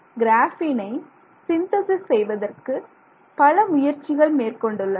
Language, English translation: Tamil, So, these are the ways in which we synthesize graphene